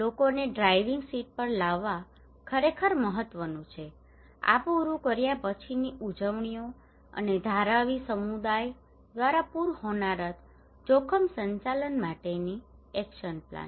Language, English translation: Gujarati, So bringing the people into the driving seat is really important this is the celebrations of our after finishing this and Dharavi community led action plan for flood disaster risk management